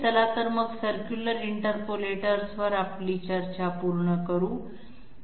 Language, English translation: Marathi, So let us complete our discussion on circular interpolators